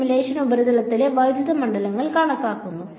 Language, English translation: Malayalam, And this simulation is showing you the electric fields on the surface